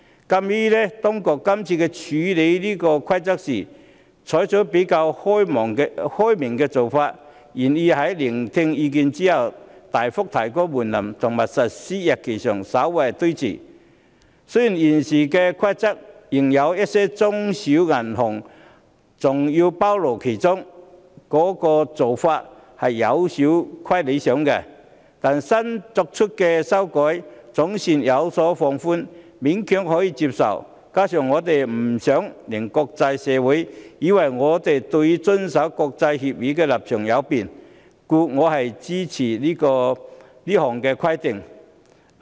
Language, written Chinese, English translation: Cantonese, 鑒於當局這次在處理這項《規則》時，採取了比較開明的做法，願意在聆聽意見後大幅提高門檻及把實施日期稍為推遲，雖然現時的《規則》仍把一些中小型銀行包括在內，做法有欠理想，但新作出的修改總算有所放寬，勉強可以接受，加上我不想令國際社會以為我們對於遵守國際協議的立場有變，所以我會支持通過《規則》。, In view of the more open - minded approach the authorities have adopted in considering the Rules and their willingness to substantially increase the threshold and slightly postpone the implementation date after listening to our views and despite the fact that the Rules now still put some small and medium banks into the scope of regulation which is hardly desirable the requirements in the amended Rules are somewhat relaxed . It is a barely acceptable proposal . Besides I do not want the international community to think that we are unable to comply with international agreements